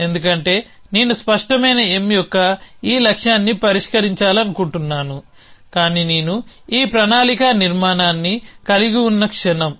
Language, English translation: Telugu, Because I want to resolve this goal of clear M, but the moment I have this plan structure